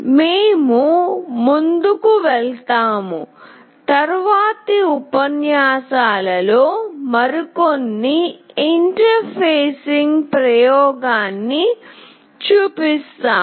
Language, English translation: Telugu, We will move on and we will be showing some more interfacing experiment in the next lectures